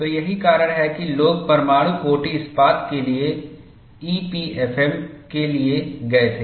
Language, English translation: Hindi, So, that is the reason why people went for EPFM for nuclear grade steel